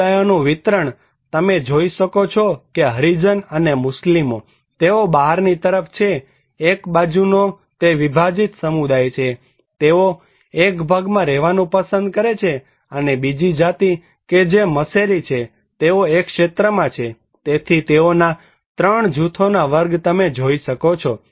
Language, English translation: Gujarati, A distribution of communities; you can see that the Harijans and Muslims, they are on the outskirt one side is a very segmented community, they prefer to live in one segments and also, the other caste that is Maheshari, they are in one sector they are, so they are 3 groups category you can see